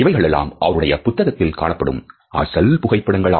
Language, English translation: Tamil, They are the original photographs which he had used in this book